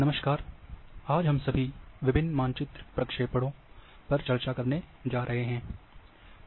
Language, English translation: Hindi, Hello, everyone today we will going we are going to discuss different map projections